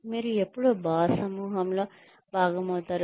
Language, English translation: Telugu, When you will become a part of the, in group of the boss